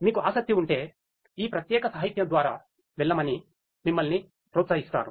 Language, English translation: Telugu, In case you are interested you are encouraged to go through this particular literature